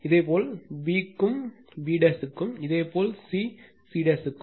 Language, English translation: Tamil, Similarly, for b also b dash, and similarly for c c dash right